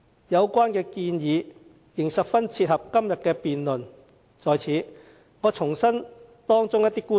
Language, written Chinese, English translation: Cantonese, 有關建議十分切合今天的辯論，我在此重申其中一些觀點。, Since the recommendations bear great relevance to the debate today I would like to reiterate some of the views therein